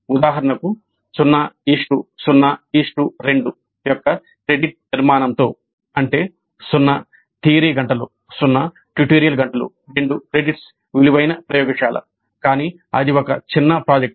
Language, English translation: Telugu, For example with a credit structure of 0 0 0 2 that means 0 3 hours, 0 tutorial hours, 2 credits worth but that is a mini project